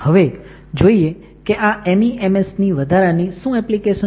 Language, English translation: Gujarati, Now, what are additional applications of this MEMS